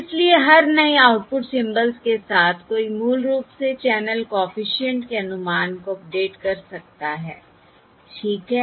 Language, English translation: Hindi, So with every new output symbol one can basically update the estimate of the channel coefficient, all right